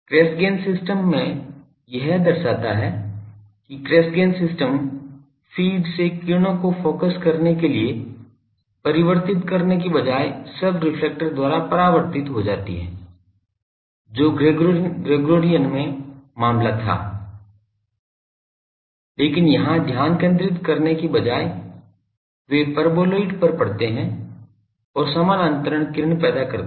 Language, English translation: Hindi, In Cassegrain system show the figure Cassegrain system the rays from feed gets reflected by the subreflector instead of converging to focus which was the case in Gregorian, but here instead of converging to focus they fall on paraboloid and produces parallel ray